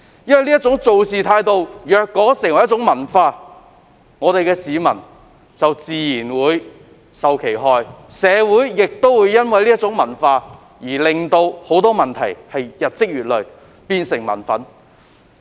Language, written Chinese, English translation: Cantonese, 如果這種處事態度成為文化，市民自然會身受其害，而這種文化亦會導致社會上的很多問題日積月累，成為民憤。, If such an attitude becomes a culture it naturally follows that people will suffer . This culture will likewise lead to many problems in society and such problems may breed resentment among people after prolonged accumulation